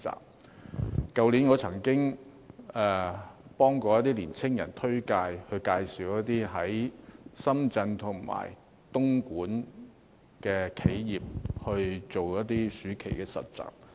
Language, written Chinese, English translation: Cantonese, 我去年曾經推薦一些年青人到深圳和東莞的企業做暑期實習。, Last year I recommended some young people to work as summer interns in enterprises in Shenzhen and Dongguan